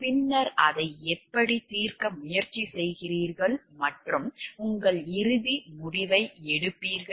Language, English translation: Tamil, And then how you try to solve for that and take a your ultimate decision